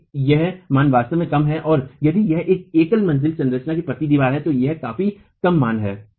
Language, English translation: Hindi, If this value is really low and if it is a single storage structure, slender wall this is going to be a significantly low value